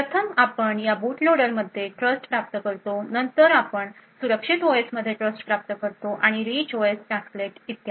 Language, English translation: Marathi, First we obtain trust in the boot loader then we obtain trust in the secure OS and from the, the rich OS tasklet and so on